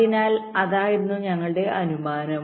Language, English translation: Malayalam, so that was our assumption